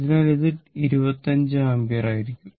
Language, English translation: Malayalam, So, it will be 2 ampere